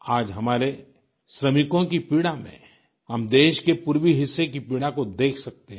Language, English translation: Hindi, Today, the distress our workforce is undergoing is representative of that of the country's eastern region